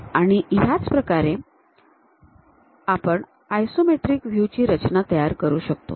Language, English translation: Marathi, This is the way isometric view we can construct it